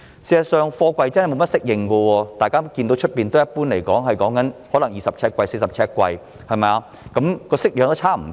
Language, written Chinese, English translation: Cantonese, 大家看到外面的貨櫃一般是20呎貨櫃、40呎貨櫃；顏色、外表也差不多。, In our eyes the containers out there are generally 20 - foot or 40 - foot containers similar in both colour and appearance